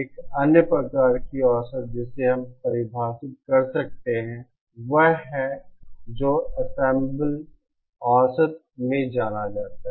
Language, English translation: Hindi, Another kind of average that we can define is what is known as the in ensemble average